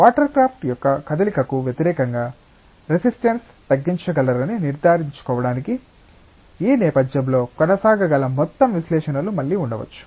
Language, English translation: Telugu, And there can be again a whole lot of analysis that that can go on in the background, to make sure that one can minimise the resistances against the motion of the watercraft